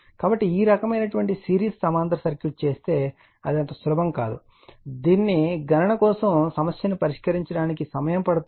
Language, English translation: Telugu, So, if you make this kind of series parallel circuit it will be not easy it will take time for your what you call for solving numerical for computation